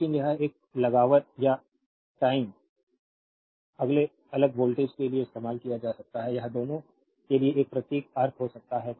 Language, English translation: Hindi, But this one it can be used for constant or time varying voltage this can be this symbol meaning for both